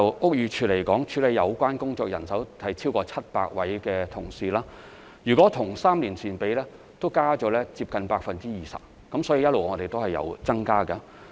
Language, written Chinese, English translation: Cantonese, 屋宇署目前處理有關工作的人員已超過700位，若與3年前相比，現已增加接近 20%， 因此我們一直也有增加人手。, Currently over 700 staff members in BD are engaged in dealing with the related work representing an increase of nearly 20 % when compared with the number three years ago . Hence we have been increasing the manpower